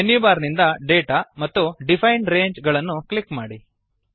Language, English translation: Kannada, From the Menu bar, click Data and then click on Define Range